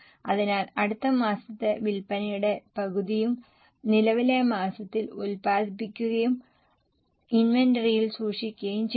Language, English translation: Malayalam, So, half of the next month sales are produced in the current month and kept in the inventory